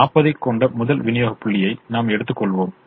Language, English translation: Tamil, i suppose i take the first supply point, which has forty